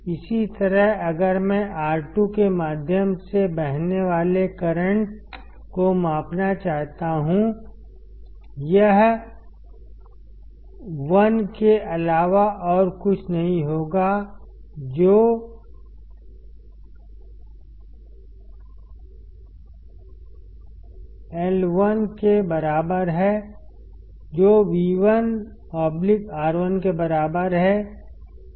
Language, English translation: Hindi, Similarly if I want to measure the current flowing through R2; it will be nothing but I2 which is equal to I1 which equals to V1 by R1